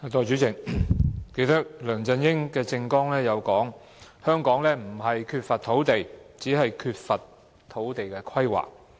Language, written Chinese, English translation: Cantonese, 代理主席，梁振英其實亦曾在政綱中提到，香港不是缺乏土地，只是缺乏土地規劃。, Deputy President in fact LEUNG Chun - ying also mentioned in his election manifesto that what Hong Kong lacked was not land but land use planning